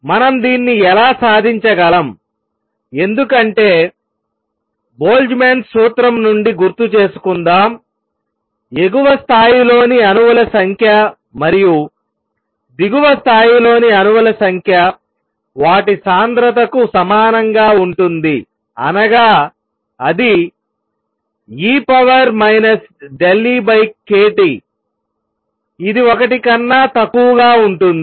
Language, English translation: Telugu, How do we achieve this, because number one remember recall from Boltzmann’s formula that the number of atoms in the upper level and number of atoms in the lower level which will be same as their density also is e raise to minus delta E over k T which is also less than 1